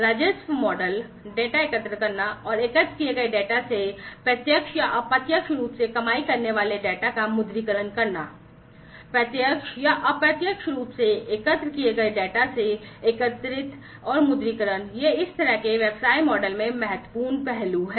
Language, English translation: Hindi, The revenue model, collecting the data, and also monetizing the data that is collected directly or indirectly monetizing from the data that is collected; so collecting and monetizing from the collected data directly or indirectly, these are important aspects in this kind of business model